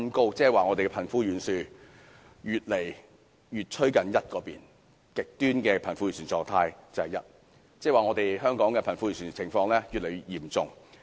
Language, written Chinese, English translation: Cantonese, 換言之，香港的貧富懸殊越來越接近 1， 而極端的貧富狀態便是 1， 這代表香港的貧富懸殊情況已越來越嚴重。, In other words the disparity between the rich and the poor in Hong Kong is approaching 1 whereas the status of extreme disparity between the rich and poor is reflected by the coefficient 1